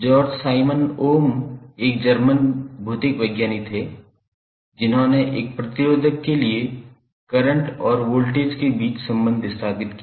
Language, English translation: Hindi, George Simon Ohm was the German physicist who developed the relationship between current and voltage for a resistor